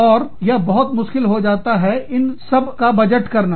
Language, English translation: Hindi, And, it becomes very difficult, to budget for, all this